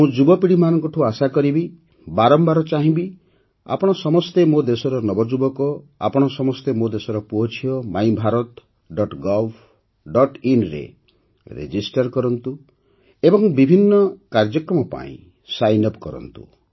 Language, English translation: Odia, I would urge the youth I would urge them again and again that all of you Youth of my country, all you sons and daughters of my country, register on MyBharat